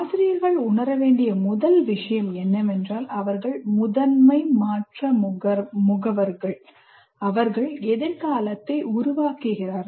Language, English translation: Tamil, Now let us first thing the teacher should know that they are the major change agents and they create the future